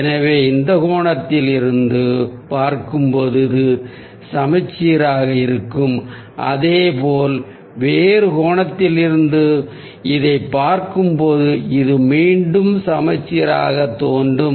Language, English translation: Tamil, so when we see it from this angle, this will be symmetrical and similarly, when we are going to see it from this angle, this will again look symmetrical